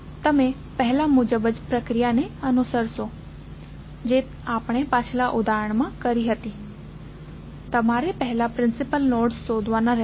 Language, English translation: Gujarati, You will follow the same procedure what we did in the previous example, you have to first find out the principal nodes